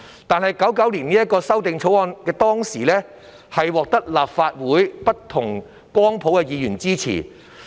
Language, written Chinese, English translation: Cantonese, 當時，《1999年保護海港條例草案》得到立法會內不同光譜的議員支持。, At that time the Protection of the Harbour Amendment Bill 1999 was supported by Members from different spectrum in the Legislative Council